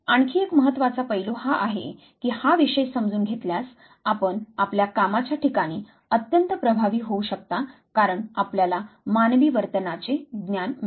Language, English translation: Marathi, Another important aspect is that with understanding of this very subject you could be extremely effective at your workplace the reason being that you has the knowledge of human behavior